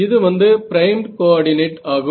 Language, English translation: Tamil, So, that is primed coordinate